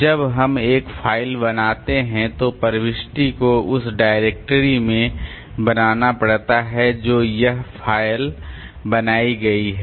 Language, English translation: Hindi, So, when we create a file then the entry has to be made in the directory that this file has been created